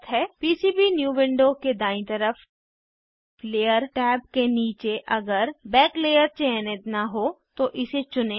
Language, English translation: Hindi, Under the Layer tab on the right side of the PCBnew window select Back layer if not selected